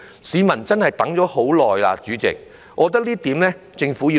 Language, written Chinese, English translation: Cantonese, 市民真的等了很久，主席，我覺得這項工作政府必須要做。, The public has really waited for a long time . President I think this is something that the Government must do